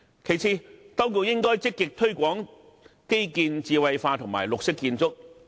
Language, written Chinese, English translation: Cantonese, 其次，當局應該積極推廣基建智慧化和綠色建築。, Next the authorities should proactively promote the intellectualization of infrastructure and green architecture